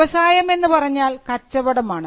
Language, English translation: Malayalam, By trade we refer to a business